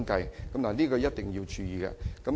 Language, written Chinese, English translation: Cantonese, 這方面，政府一定要注意。, The Government must pay attention to this aspect